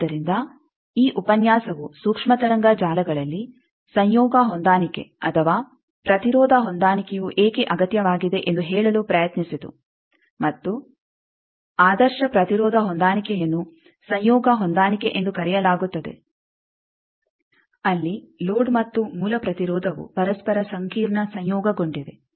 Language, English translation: Kannada, So, this lecture tried to tell that why conjugate matching or impedance matching is necessary in case of microwave networks, and the ideal impedance matching is called conjugate matching where the load and source they are complex conjugate to each other load and source impedance